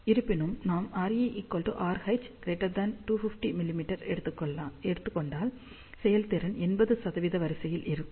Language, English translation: Tamil, However, if we take R E equal to R H greater than 250 mm, then efficiency is of the order of 80 percent